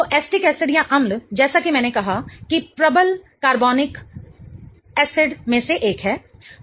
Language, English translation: Hindi, So, acetic acid as I said is one of the stronger organic acids